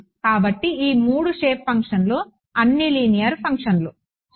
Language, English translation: Telugu, So, all of these 3 shape functions are linear functions ok